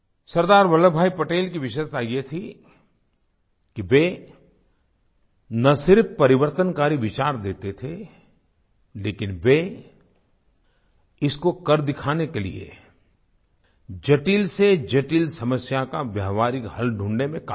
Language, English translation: Hindi, Sardar Vallabhbhai Patel's speciality was that he not only put forth revolutionary ideas; he was immensely capable of devising practical solutions to the most complicated problems in the way